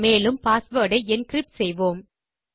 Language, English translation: Tamil, And we are going to do the encrypting of the password